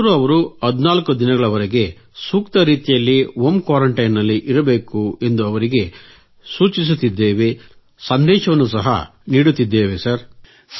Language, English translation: Kannada, During the current lockdown, they ought to be home quarantined properly for a minimum of 14 days…we are informing them, this is our message to them Sir